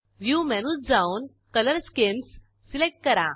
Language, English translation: Marathi, Go to View menu and select Color schemes